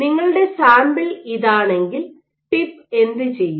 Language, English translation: Malayalam, So, what you have if this is your sample what the tip will do